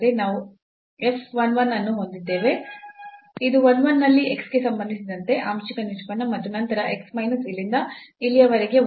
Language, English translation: Kannada, So, we have f 1 1, the partial derivative with respect to x at 1 1 and then x minus 1 from here to here these are the first order terms